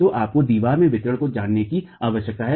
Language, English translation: Hindi, So, you need to know the distribution of the walls